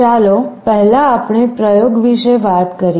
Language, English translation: Gujarati, Let us talk about the experiment first